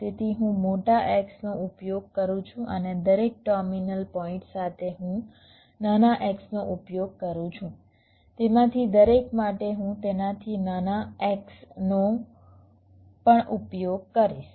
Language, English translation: Gujarati, so i use a big x and with each of the terminal points i use smaller xs from each of them i will be using even smaller xs like that